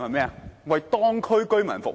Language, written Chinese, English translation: Cantonese, 是為當區居民服務。, Their responsibility is to serve the local residents